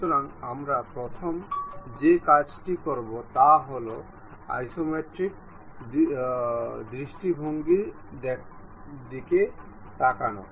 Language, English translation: Bengali, So, first thing what we will do is look at isometric view